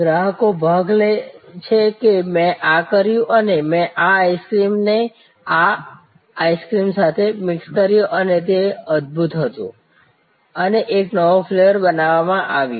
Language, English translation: Gujarati, Customers participate that I did this and I mix this ice cream with this ice cream and it was wonderful and a new flavor is created